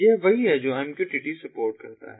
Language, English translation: Hindi, this is what mqtt supports